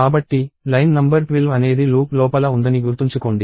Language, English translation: Telugu, So, remember line number 12 is inside the loop